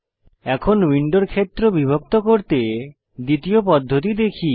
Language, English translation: Bengali, Now, lets see the second way to divide the window area